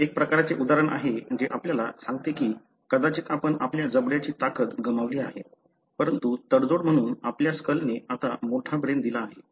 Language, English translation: Marathi, So, this is a kind of an example which tells us that may be we lost the strength of our jaw, but as a compromise our skull now allowed a larger brain to be located